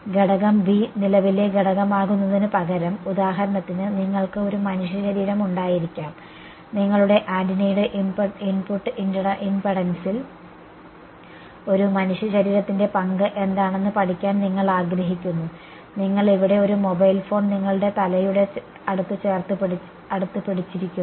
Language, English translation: Malayalam, Instead of element B being a current element, you could have, for example, a human body and you wanted to study what is the role of a human body on the input impedance of your antenna you are holding a mobile phone over here close to your head